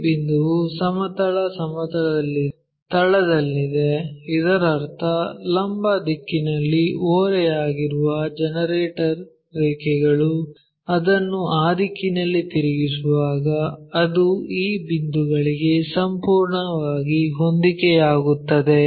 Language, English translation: Kannada, This point is on the base on horizontal plane; that means, that entire line generator lines which are inclined in the vertical direction that when we are flipping it in that direction that entirely coincide to that point